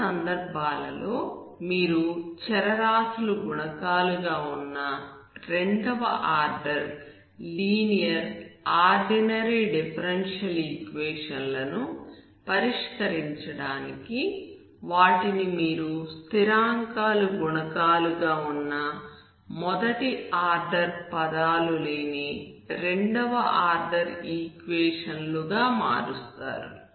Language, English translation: Telugu, In some cases it was because you are reducing the second order linear ODE with variable coefficients, you are converting it to equation with constant coefficients of second order but without having first order terms